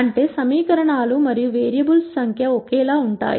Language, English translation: Telugu, The number of equations are less than the number of variables